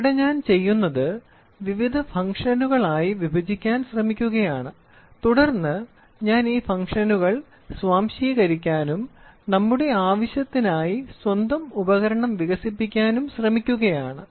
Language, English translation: Malayalam, So, here what I am doing is I am trying to split into various functions and then am I trying to assimilate these functions, try to develop my own device for the requirement